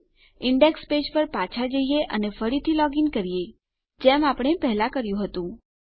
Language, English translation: Gujarati, Lets go back to our index page and lets log in again, as we did before